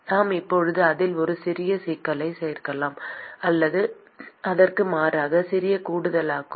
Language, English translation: Tamil, We can now add a small complication to it, or rather small addition to it